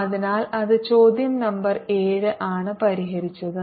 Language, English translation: Malayalam, so that's question number seven solved